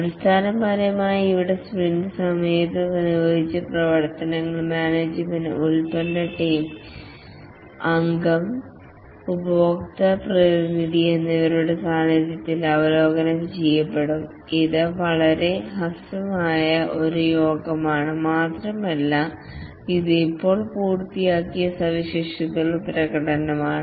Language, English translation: Malayalam, Basically here the work that was accomplished during the sprint are reviewed in presence of the management, the product owner, the team member and also customer representative intended to be a very short meeting and typically it's a demonstration of the features that have been just completed